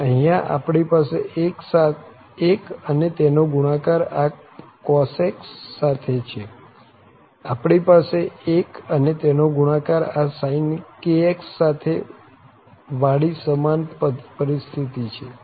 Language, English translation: Gujarati, And here, we are having 1 and the product with this cos ax here, also we have the same situation, 1 and it’s the product with the sin kx